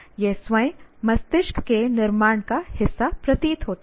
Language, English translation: Hindi, That seems to be part of the making of the brain itself